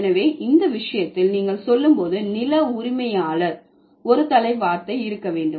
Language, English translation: Tamil, So, in this case, when you say landlord, there must be a head word